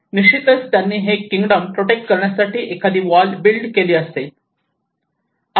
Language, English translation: Marathi, Obviously they might have built a wall before in order to protect this particular kingdom